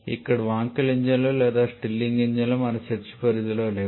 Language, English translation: Telugu, Here we, Wankel engines or Starling engines are not within our scope